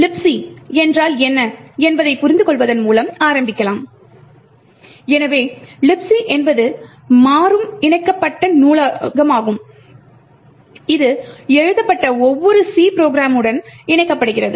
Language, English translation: Tamil, Let us start of by understanding what LibC is, so LibC is a dynamically linked library that gets attached to almost every C program that is written